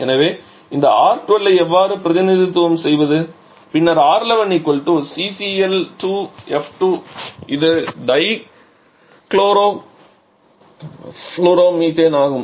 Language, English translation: Tamil, So, how to represent this one R12 then R12 will be equal to C CL2 F2 dichloro di floro methane